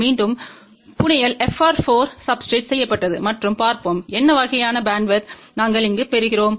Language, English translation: Tamil, Again the fabrication was done on FR4 substrate; and let us see what kind of a bandwidth we get over here